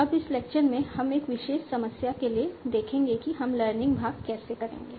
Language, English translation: Hindi, Now in this lecture we will see for our particular problem how we will be doing the learning part